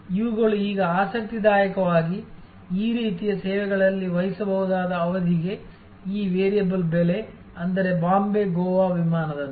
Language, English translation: Kannada, These are, now interestingly we find that in this kind of services, these variable price for predictable duration; that means, like a Bombay, Goa flight